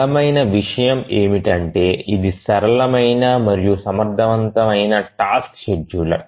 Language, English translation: Telugu, The strong point is that it's a simple and efficient task scheduler